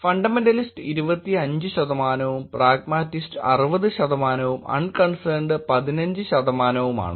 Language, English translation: Malayalam, Fundamentalist is being 25 percent, pragmatists is being 60 percent and unconcerned being 15 percent